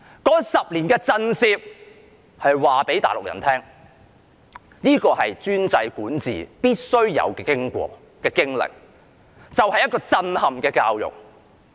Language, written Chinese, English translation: Cantonese, 那10年的震懾是要告訴大陸人：這是專制管治必須有的經歷，就是一個震撼教育。, The 10 - year intimidation was to tell the Mainlanders that shock education was an inevitable experience of the autocratic governance